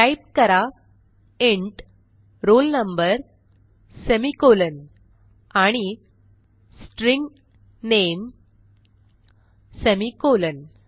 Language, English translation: Marathi, So type int roll number semi colon and String name semi colon